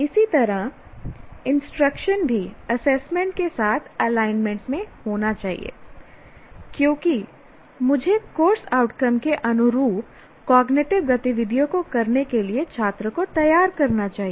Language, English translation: Hindi, Similarly, instruction also should be in alignment with the assessment because I must prepare the student to perform cognitive activities corresponding to the course outcome